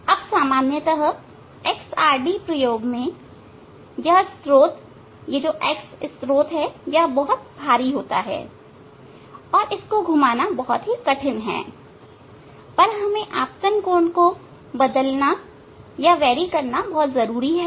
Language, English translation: Hindi, Now, generally in XRD experiment it is this source x source is very heavy and it is very difficult to rotate the source, but we must change the incident angle